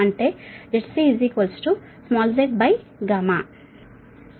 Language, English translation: Telugu, this is z